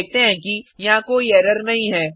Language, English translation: Hindi, We see that, there is no error